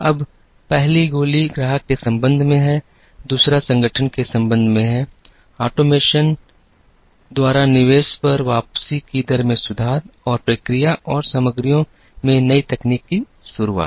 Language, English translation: Hindi, Now, the first bullet is with respect to the customer, the second one is with respect to the organization, improve the rate of return on investment by automation or by automating and introducing new technology in process and materials